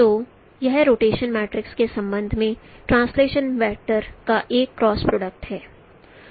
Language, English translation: Hindi, So it is a cross product of translation vector with respect to the rotation matrix